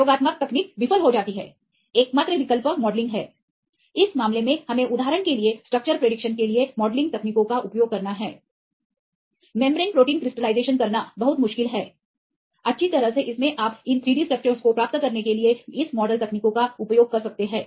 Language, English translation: Hindi, The experimental techniques fail then the only option is modelling, in this case we have to use the modelling techniques for predicting the structure for example, membrane proteins it is very difficult to crystallize, well in this case you can use this model techniques to get these 3 D structures